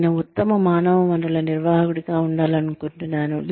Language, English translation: Telugu, I would like to be, the best human resources manager